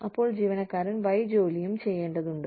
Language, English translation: Malayalam, And, the employee is required to do, Y also